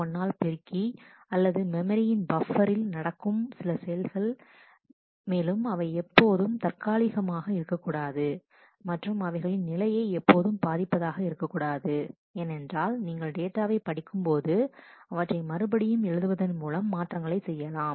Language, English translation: Tamil, 1 or things like that are all operations that happen in the local buffer in the memory, and never temporary in nature and mostly they do not affect the state of the database, because you have read the data do the changes write it back